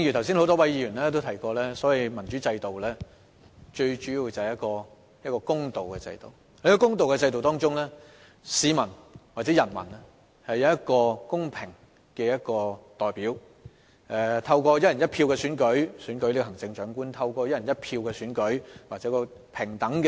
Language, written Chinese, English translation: Cantonese, 正如多位議員剛才也提到，民主制度就是一個公平的制度，而在這個公平的制度下，市民或人民享有公平的投票權，透過"一人一票"選出行政長官及立法會議員。, As have been mentioned by numerous Members just now a democratic system refers to a fair system under which the citizens are entitled to fair voting right in electing the Chief Executive and Legislative Council Members on a one person one vote basis